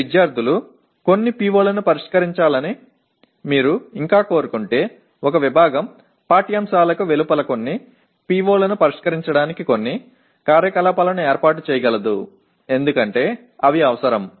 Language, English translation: Telugu, but if you still want your students to address some of the POs then a department can arrange some activities outside the curriculum to address some of the POs because they are required